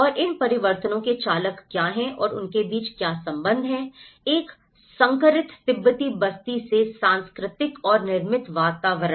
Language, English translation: Hindi, And what are the drivers of these transformations and what is the relationship between the cultural and the built environments in a hybrid Tibetan settlement